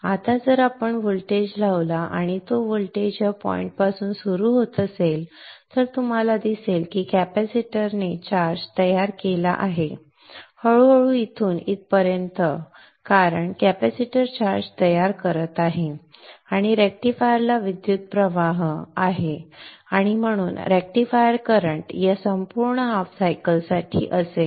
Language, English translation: Marathi, Now if we apply a voltage and if by chance that voltage is starting at this point then you will see that the capacitor build up the charge gradually from here on up to this point so as the capacitor is building up the charge there is current flow to the rectifier and therefore the rectifier current will be for this whole half cycle